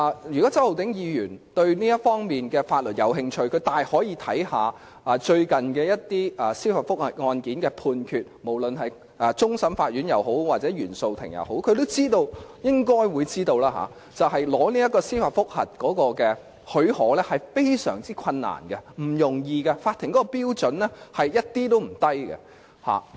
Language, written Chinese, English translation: Cantonese, 如果周浩鼎議員對這方面的法律有興趣，他大可參考最近一些司法覆核案件的判決，無論是終審法院或原訟法庭的案件也好，他應該知道要取得司法覆核許可並不容易，而是非常困難的，法庭的標準一點也不低。, If Mr Holden CHOW is interested in this aspect of law he may draw reference to the judgments on some judicial review cases recently and whether from cases heard in the Court of Final Appeal or those in the Court of First Instance he should know that it is not easy to obtain leave to apply for judicial review . It is very difficult to do so and the Courts standard is not low at any rate